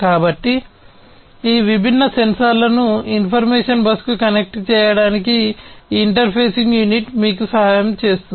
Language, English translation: Telugu, So, this interfacing unit will help you to connect these different sensors to the information bus